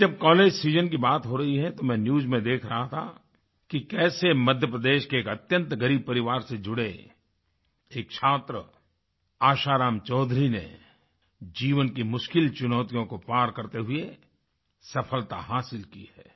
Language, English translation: Hindi, Referring to the college season reminds me of someone I saw in the News recently… how Asharam Choudhury a student from an extremely poor family in Madhya Pradesh overcame life's many challenges to achieve success